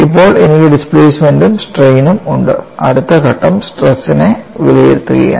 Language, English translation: Malayalam, Now, I have displacements as well as strains the next step is evaluate the stresses